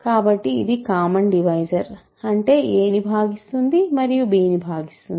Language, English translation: Telugu, So, this is a common divisor part, it divides a and it divides b